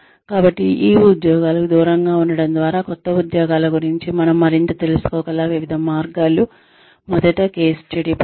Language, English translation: Telugu, So, various ways in which, we can learn more about, new jobs by being away, from these jobs are, first is case study method